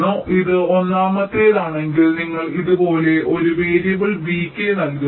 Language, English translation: Malayalam, so if it is among the top one you assign a variable v k like this